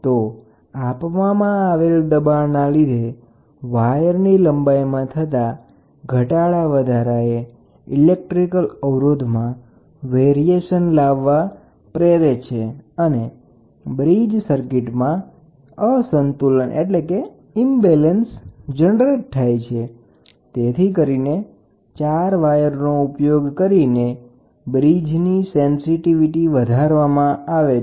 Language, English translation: Gujarati, The applied pressure just changes the length of the wire due to which the resistance of the wire varies causing an imbalance in the bridge, the four wires are used to increase the sensitivity of the bridge